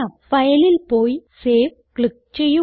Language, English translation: Malayalam, Go to File and click on Save